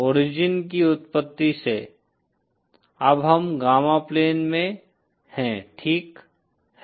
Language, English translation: Hindi, From the origin of the, now we are in the gamma plane, ok